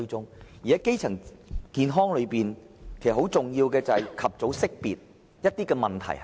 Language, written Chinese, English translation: Cantonese, 至於基層健康方面，其實，最重要的是及早識別問題所在。, Actually the most important thing about primary health care must be the early identification of health problems